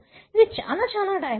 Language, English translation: Telugu, It is very, very dynamic